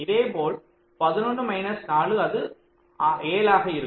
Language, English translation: Tamil, eleven minus three, it will be eight